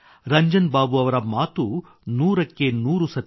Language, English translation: Kannada, Ranjan babu is a hundred percent correct